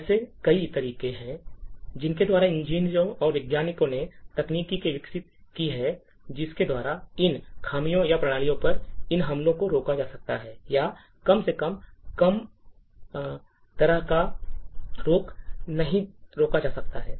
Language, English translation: Hindi, So there are many ways by which engineers and scientists have developed techniques by which these flaws or these attacks on systems can be actually prevented or if not completely prevented at least mitigated